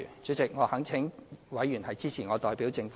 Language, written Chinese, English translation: Cantonese, 主席，我懇請委員支持我代表政府提出的修正案。, Chairman I implore Members to support the amendment proposed by me on behalf of the Government